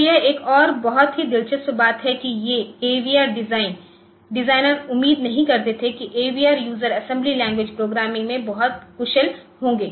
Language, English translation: Hindi, So, this is another very interesting thing that these AVR designers they did not expect the users to be very proficient in AVR assembly language programming